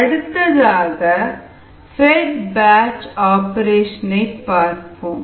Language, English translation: Tamil, how to analyze the fed batch operation